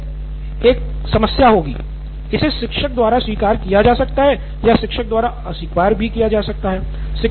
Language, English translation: Hindi, Again problem here would be sir, it might be accepted by the teacher or might not be accepted by the teacher